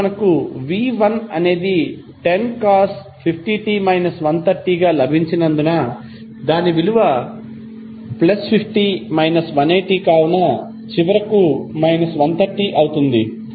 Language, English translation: Telugu, So, V1, what we got is 10 cost 50 t minus 130 because the value was plus 50 minus 180, so it will finally become minus 130